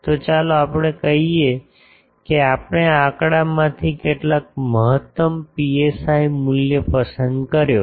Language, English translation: Gujarati, So, let us say that we have chosen from this figure, some optimum psi value